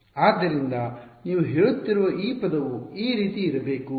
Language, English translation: Kannada, So, this term you are saying should be like this and